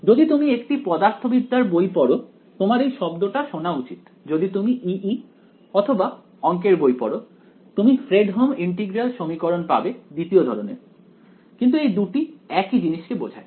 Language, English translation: Bengali, So, if you read a physics books you physics book you are likely to hear this word for it if you read a more double E or math book you will find Fredholm integral equation of second kind, but they both refer to the same object ok